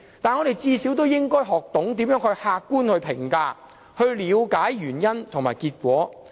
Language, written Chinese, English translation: Cantonese, 但是，我們最少應該學懂如何客觀評價，了解原因和結果。, However we should at least learn to make objective comments and ascertain the reasons and outcomes